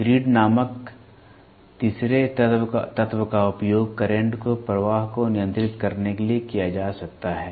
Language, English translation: Hindi, A third element called the grid can be used to control the flow of current